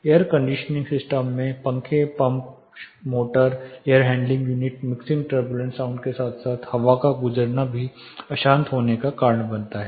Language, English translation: Hindi, Air conditioning system comprises of fans, pumps, motors, air handling unit, the mixing turbulent sound plus the passage of air also causes the turbulent, the throw of it